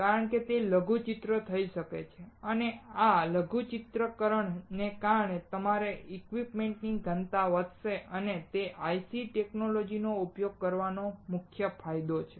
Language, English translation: Gujarati, Because it can miniaturize and because of this miniaturization, your equipment density would increase, and that is the main advantage of using IC technology